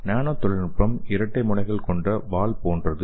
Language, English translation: Tamil, So here this nano technology is a double edged sword